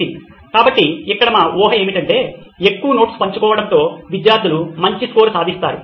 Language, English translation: Telugu, So here our assumption would be that with more notes being shared, students would probably score better